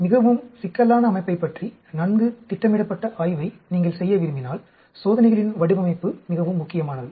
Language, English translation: Tamil, Design of experiments are extremely important if you want to do a well planned out study of a very complicated system